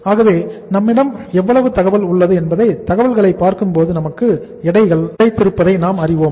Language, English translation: Tamil, So we know it that how much information we have and if you look at the information we have got the weights